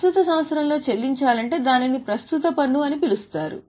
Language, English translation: Telugu, If it is to be paid in current year it's called current tax